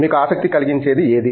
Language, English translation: Telugu, What fascinates you